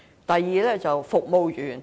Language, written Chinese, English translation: Cantonese, 第二，做服務員。, The second role was service provider